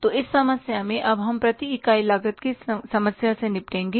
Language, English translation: Hindi, So, in this problem, we will now deal with the problem of the per unit cost